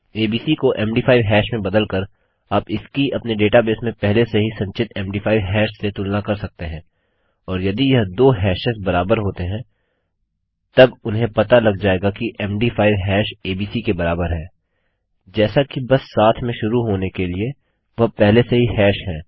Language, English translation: Hindi, By converting abc to a MD5 hash you can compare it to a MD5 hash already stored in your data base and if these two hashes match then theyll know that the MD5 hash equals abc, as they had already hashed just to start with